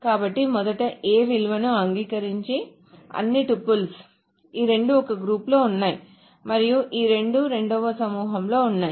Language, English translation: Telugu, So first of all, all the tuples that agree on the A A value so that means these two are in one group and these two are in the second group